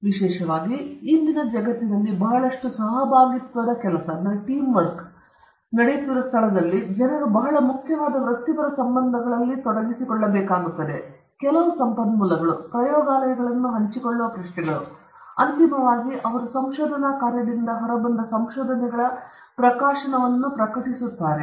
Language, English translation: Kannada, Particularly, in todayÕs world, where there is a lot of collaborative work taking place people have to engage in very important professional relationships, there is a lot of, you know, questions of sharing certain resources, laboratories, and finally, also publishing the kind of findings they have come out of a research work